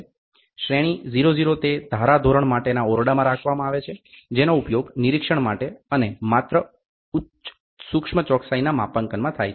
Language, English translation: Gujarati, Grade 00 is kept in the standards room and is used for inspection and calibration of high precision only